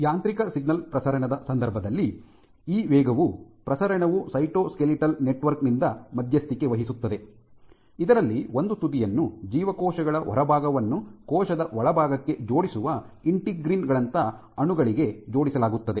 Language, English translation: Kannada, And this fast propagation in case of mechanical signal propagation is mediated by the cytoskeletal network, which on one end is attached to molecules like integrins which link the outside of the cells to the inside